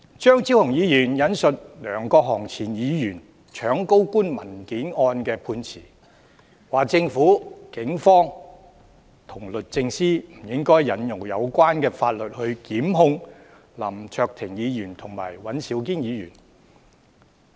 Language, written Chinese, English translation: Cantonese, 張超雄議員引述前議員梁國雄搶高官文件案的判詞，說政府、警方和律政司不應引用相關法例檢控林卓廷議員和尹兆堅議員。, In quoting the ruling on the case concerning former Member LEUNG Kwok - hung snatching a folder from a senior government official Dr Fernando CHEUNG argues that the Police and DoJ should not institute prosecution against Mr LAM Cheuk - ting and Mr Andrew WAN under the relevant legislation